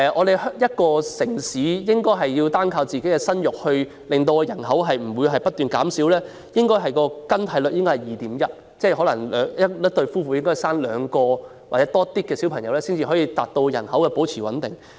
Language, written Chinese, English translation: Cantonese, 如一個城市要靠生育避免人口不斷減少，生育更替水平應是 2.1， 即一對夫婦應誕下超過兩名小孩，才能令人口保持穩定。, For a city relying on childbirth to avoid a continuous decline in population the fertility replacement level should be 2.1 ie . a couple should give birth to more than two children for the population to remain stable